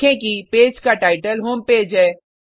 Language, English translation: Hindi, Observe that the title of the page is Home Page